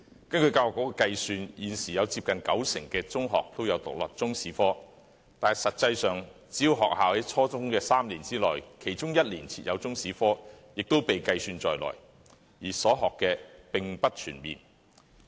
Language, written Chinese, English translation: Cantonese, 根據教育局的計算，現時有接近九成中學也是獨立中史科，但實際上，只要學校在初中3年內的其中1年設有中史科，也會被計算在內，所學的並不全面。, Calculations by the Education Bureau suggest that at present nearly 90 % of the secondary schools teach Chinese History as an independent subject but in reality schools need only teach Chinese History in one of the three years of the junior secondary level to be regarded as such so the contents covered in classes were not comprehensive